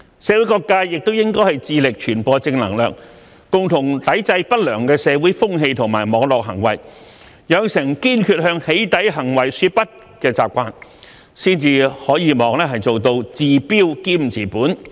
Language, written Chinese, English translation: Cantonese, 社會各界也應致力傳播正能量，共同抵制不良的社會風氣和網絡行為，養成堅決向"起底"行為說不的習慣，才可望做到治標兼治本。, What is more different sectors of society should work at spreading positive energy and resisting undesirable social trend and online behaviours together by making it a habit to say no to doxxing acts in a resolute manner . It is only in this way that we can hopefully resolve the problem both expediently and permanently